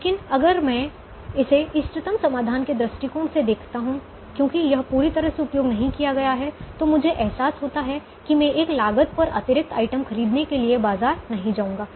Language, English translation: Hindi, but if i look at it from the optimum solutions point of view, because this is not completely utilized, i realize that i will not go to the market to buy an extra item at a cost